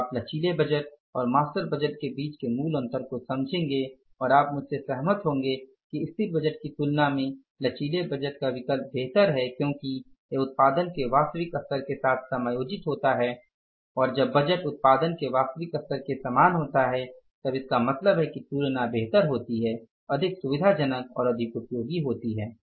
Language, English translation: Hindi, So, you would understand now the basic difference between the flexible budget and the master budget and you would agree with me that flexible budgets are the better options as compared to the static budget because it adjusts with the actual level of production and when the budgets are as same as for the actual level of the production, so it means comparisons are much better, more facilitated and they are more useful